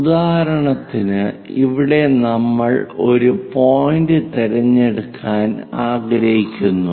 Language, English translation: Malayalam, For example, here we would like to pick a point